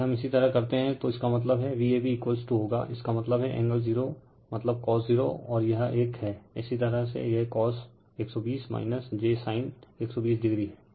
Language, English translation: Hindi, If you do so that means, V a b will be V p that means, angle 0 means cos 0, and this one minus of your cos 120 minus j sin 120 degree right